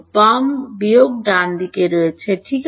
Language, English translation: Bengali, Left minus right ok